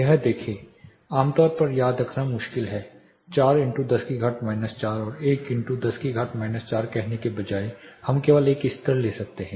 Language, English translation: Hindi, See this is typically difficult to remember say instead of saying 4 in to 10 power minus 4 and 1 in to 10 power minus 4 we can simply take a level